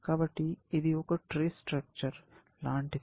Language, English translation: Telugu, So, this is a tree like this